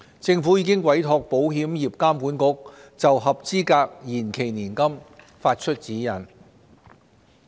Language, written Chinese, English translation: Cantonese, 政府已經委託保險業監管局就合資格延期年金發出指引。, The Insurance Authority IA has been tasked to issue guidelines in respect of eligible deferred annuities